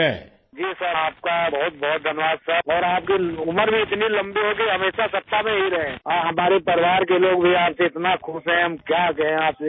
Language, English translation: Urdu, Sir, thank you very much sir, may you live so long that you always remain in power and our family members are also happy with you, what to say